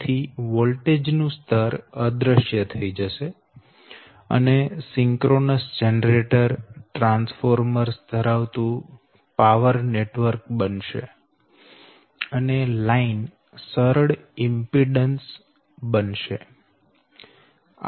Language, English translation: Gujarati, so voltage level will disappear and it will power network consisting of synchronous generators, transformers and line reduces to simple impedances